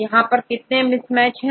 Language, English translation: Hindi, How many number of mismatches right